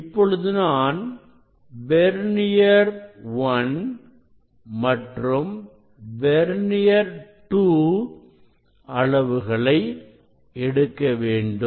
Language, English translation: Tamil, I will take this I will take this reading; I will take this reading from vernier 1 and vernier 2